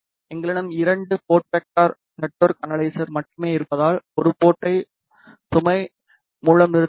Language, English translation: Tamil, Since, we have only two port vector network analyzer, so we will have to terminate one port with load